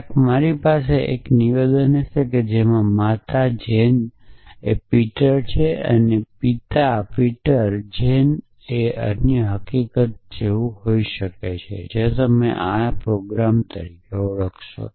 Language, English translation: Gujarati, Somewhere I would have a statement saying a mother Jane Peter for example, and father Peter Jane and may be other fact also, you recognize this as a prolog programme